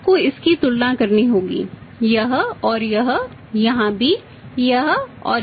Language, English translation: Hindi, Now you have to make a comparison of this and this here also this and this right